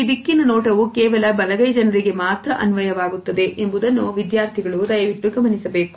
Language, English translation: Kannada, Please note that this direction is valid only for those people who are right handed